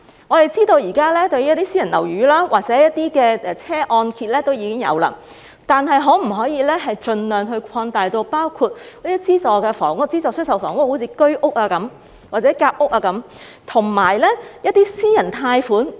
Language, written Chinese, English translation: Cantonese, 我們知道現時私人樓宇或汽車按揭已經有這種安排，但可否盡量擴大至包括資助房屋，如居屋或夾屋等，以及一些私人貸款呢？, We know this arrangement is already applied to mortgage loans for private housing or vehicles . Yet could the scope be extended to subsidized housing such as Home Ownership Scheme flats and Sandwich Class Housing Scheme flats as well as certain personal loans?